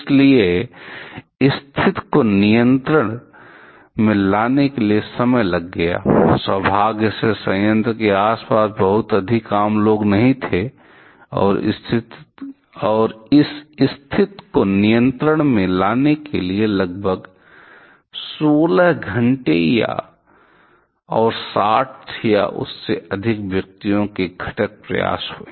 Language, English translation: Hindi, So, the situation it took quite some time to take the, get the situation under control; luckily there are not too many common people around the plant, and it took around 16 hours and constituent effort of 60 or more number of persons to get the situation under control